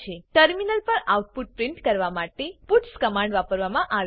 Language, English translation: Gujarati, puts command is used to print the output on the terminal